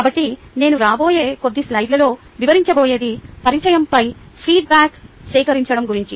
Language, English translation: Telugu, so what i am going to describe in the next few slides is how i went about collecting feedback on introduction